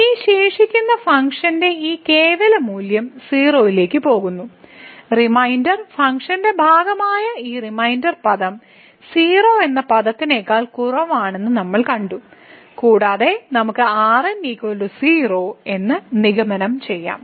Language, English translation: Malayalam, So, this absolute value of this remainder term which goes to 0; so what we have seen that this reminder term which was a part of the remainder term is less than which term which goes to 0 as goes to infinity and we can conclude that the remainder goes to 0